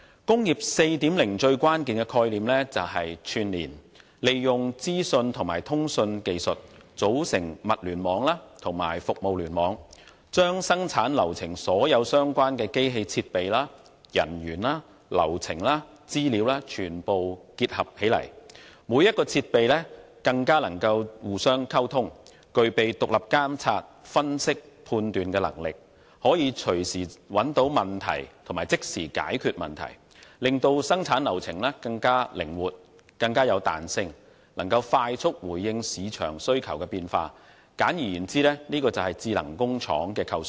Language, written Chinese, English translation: Cantonese, "工業 4.0" 最關鍵的概念是串連，利用資訊和通訊技術，組成物聯網及服務聯網，將生產流程所有相關的機器設備、人員、流程與資料全部結合起來；每個設備更能互相溝通，具備獨立監察、分析和判斷能力，可以隨時找到問題及即時解決問題，從而令生產流程更靈活和具彈性，能快速回應市場需求的變化，簡而言之，就是智能工廠的構想。, With the use of information and communication technologies the Internet of Things and Internet of Services have been developed to connect all the relevant equipment personnel processes and data such that the equipment not only can communicate with one another but is also capable of monitoring making analysis and exercising judgment independently . Problems can thus be identified and promptly addressed at any time thereby enhancing the flexibility of the production process to react swiftly to changing market needs . Simply put this is the idea of smart factory